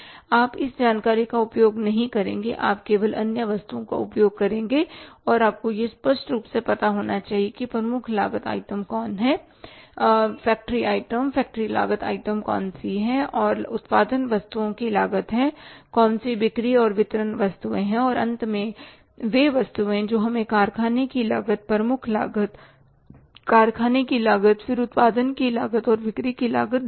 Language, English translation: Hindi, You will not make use of this information, you will only use the other items and you should be knowing it very clearly where the say which are the prime cost items which are the factory item factory cost items which are the cost of production items which are sales and distribution items and finally the items which give us the say factory cost prime cost factory cost then the cost of production and cost of sales